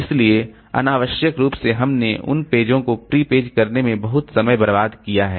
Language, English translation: Hindi, So unnecessarily we have wasted a lot of time in prepaging those pages